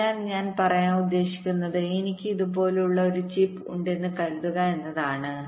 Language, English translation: Malayalam, so what i mean to say is that suppose i have a chip like this, so i have a clock pin out here